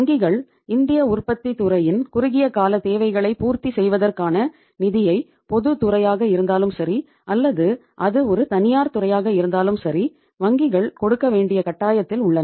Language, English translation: Tamil, Bank, the banks are bound to give the say say funds for meeting the short term requirements of the Indian manufacturing sector whether it is a public sector or it is a private sector